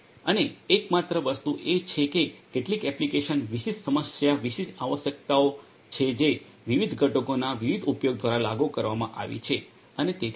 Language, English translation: Gujarati, And the only thing is that the there is some application specific problem specific requirements which have been implemented through the different use of different components and so on